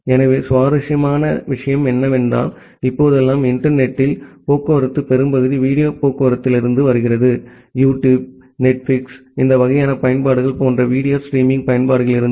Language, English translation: Tamil, So, interestingly the majority of the traffic in the internet nowadays comes from the video traffic; from the video streaming kind of applications like YouTube, Netflix, this kind of applications